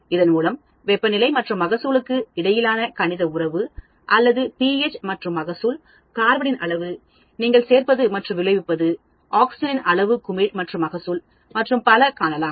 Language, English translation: Tamil, So, you can get a mathematical relation between temperature and yield, or pH and yield, the amount of carbon you are adding and yield, amount of oxygen that is bubbled in and yield, and so on actually